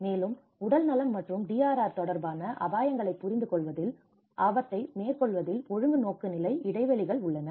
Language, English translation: Tamil, Also, there is a disciplinary orientation gaps in undertaking risk in understanding risks related to health and DRR